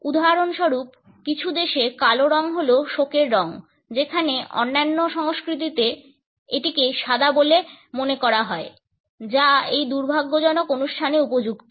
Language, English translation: Bengali, For example in certain countries black is the color of mourning whereas, in certain other cultures it is considered to be the white which is appropriate during these unfortunate occasions